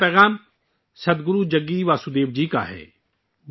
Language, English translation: Urdu, The first message is from Sadhguru Jaggi Vasudev ji